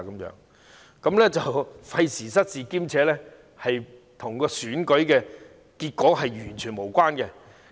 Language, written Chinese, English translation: Cantonese, 這做法費時失事，亦與選舉結果完全無關。, Such a practice is time - consuming and cumbersome and has absolutely nothing to do with the election result